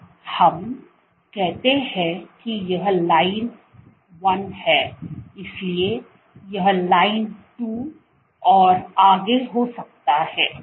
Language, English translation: Hindi, So, let us say this is line 1, so this can be line 2 so on and so forth